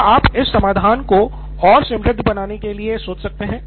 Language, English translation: Hindi, So we have that, so can you think of that to make this solution richer